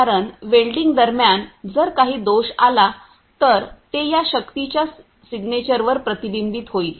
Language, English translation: Marathi, Because if during welding if any defect comes up, so that will be reflection on the signature of this you know the force